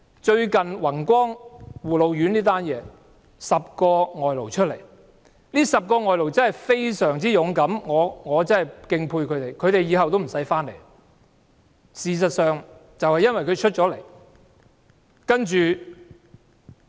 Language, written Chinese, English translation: Cantonese, 最近宏光護老院有10名外勞站出來投訴，這10名外勞真的非常勇敢，我實在敬佩他們，恐怕他們往後也不用回來了。, What is the work condition of these imported workers? . Recently 10 imported workers at the Wing Kwong Care Home for the Elderly stepped forward and complained . They are very brave and I must commend them for their courage as I am afraid they cannot come back to work in Hong Kong again